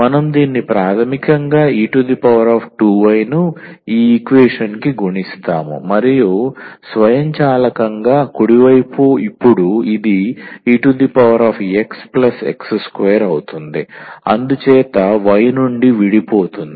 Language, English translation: Telugu, So, we multiply it basically e power 2y to this equation and automatically the right hand side becomes now e power x plus x square, so free from y